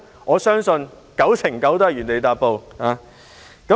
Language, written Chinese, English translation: Cantonese, 我相信很有可能會是這樣。, I think that is a very probable result